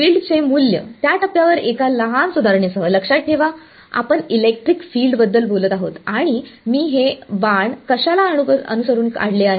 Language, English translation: Marathi, Value of the field at that point with one small modification, remember we are talking about electric field and I have drawn these arrows correspond to